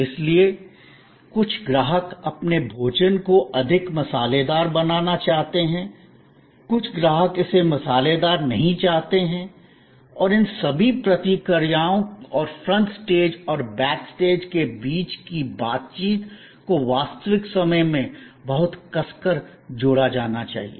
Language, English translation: Hindi, So, some customers way want their food more spicy, some customers may not want it spicy and all these responses and interactions between the front stage and the back stage have to be very tightly coupled in real time